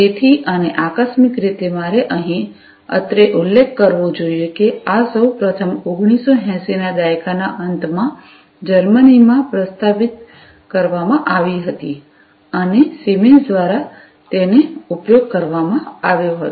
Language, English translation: Gujarati, So, and incidentally I should mention over here that, this was first proposed in Germany in the late 1980s, and was used by Siemens